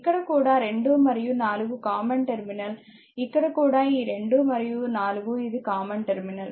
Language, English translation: Telugu, So, this is basically a 3 terminal, because this is common terminal 2 and 4 is a common terminal